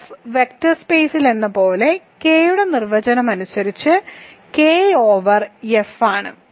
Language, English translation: Malayalam, So, this is the degree of K over F is by definition dimension of K as in F vector space